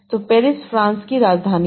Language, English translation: Hindi, So, Paris is the capital of France